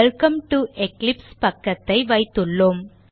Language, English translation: Tamil, And we have the Welcome to Eclipse page